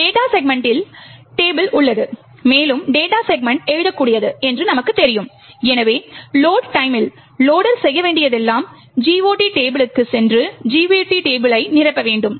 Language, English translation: Tamil, The GOT table is present in the data segment and as we know the data segment is writable, therefore, at load time all that the loader needs to do is go and fill in the GOT table